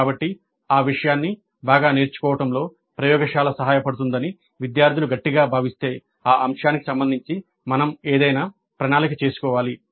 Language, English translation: Telugu, So if the students strongly feel that a laboratory would have helped in learning that material better, then we need to plan something regarding that aspect